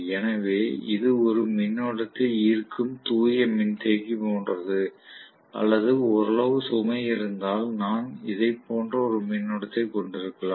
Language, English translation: Tamil, So it is like a pure capacitor drawing a current or if it is having some amount of load, then I may have a current somewhat like this, depending upon